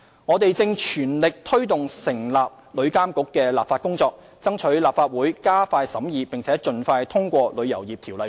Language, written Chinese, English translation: Cantonese, 我們正全力推動成立旅遊業監管局的立法工作，爭取立法會加快審議並盡快通過《旅遊業條例草案》。, We are taking forward at full steam the legislative work on setting up a Travel Industry Authority TIA and will seek the Legislative Councils expeditious scrutiny and early approval of the Travel Industry Bill the Bill